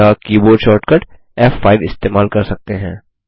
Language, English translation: Hindi, or use the keyboard shortcut F5